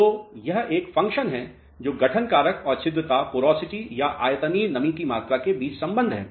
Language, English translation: Hindi, So, this is a function which is relationship between formation factor and porosity or the volumetric moisture content